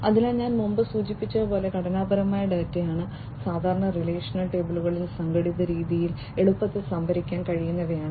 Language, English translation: Malayalam, So, structured data as I was mentioning before are the ones which can be stored easily in an organized fashion in typically relational tables